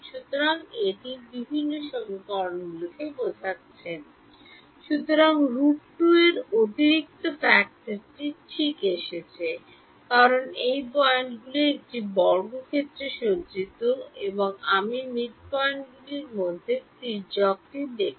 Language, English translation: Bengali, So, an additional factor of square root 2 has come right, just because these points are arrayed on a square and you are looking at the diagonal between the midpoints